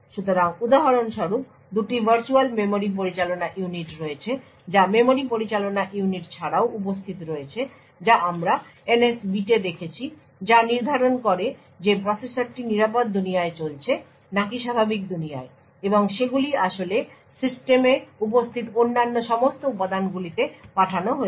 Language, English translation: Bengali, So for example there are two virtual memory management units that are present in addition to the memory management unit which we have seen the NS bit which determines whether the processor is running in secure world or normal world and they actually sent to all other components present in the system